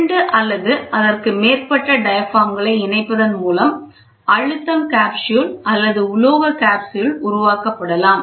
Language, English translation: Tamil, The pressure capsule or the metal capsule can be formed by joining two or more diaphragms, ok